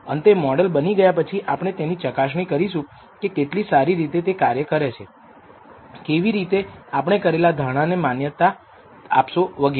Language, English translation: Gujarati, Finally, after building the model we would like to assess how well the model performs, how to validate some of the assumptions we have made and so on